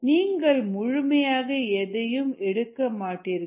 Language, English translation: Tamil, you may not even remove with anything